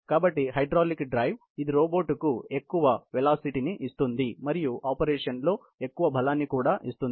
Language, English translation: Telugu, So, hydraulic drive; you know it gives the robot great speed and also, lot of strength in doing its operation